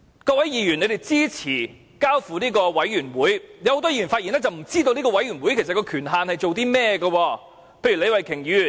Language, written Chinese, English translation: Cantonese, 多位議員支持把事情交付調查委員會，但很多議員的發言卻顯示他們不知道委員會的權限為何，例如李慧琼議員。, Various Members support referring the matter to an investigation committee but the speeches delivered by many of them have shown that they do not know the terms of reference of the committee . An example is Ms Starry LEE